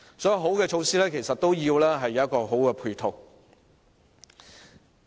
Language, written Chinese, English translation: Cantonese, 所以，好的措施其實需要有好的配套支持。, Hence a good initiative really needs support by good ancillary facilities